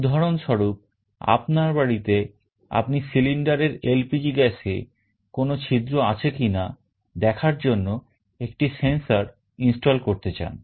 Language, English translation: Bengali, For example, in your home you want to install a sensor to check whether there is a leakage of your LPG gas in the cylinder or not